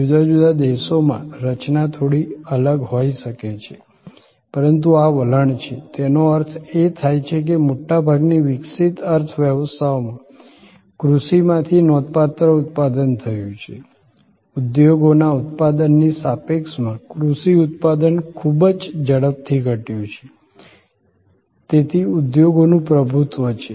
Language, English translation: Gujarati, In different countries the composition maybe slightly different, but this is the trend; that means, in most developed economies a significant output came from agriculture, very rapidly agricultural output with respect to industry output diminished, so industry dominated